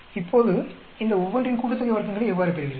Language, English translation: Tamil, Now, how do you get each of these sum of squares